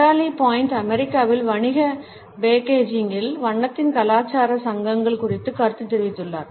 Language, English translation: Tamil, Natalie Boyd has commented on the cultural associations of color in business packaging in the United States